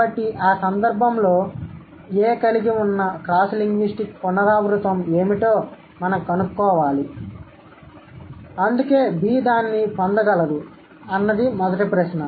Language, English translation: Telugu, So, in that case we have to find out what are the cross linguistic recurrent that A had which is why B could get it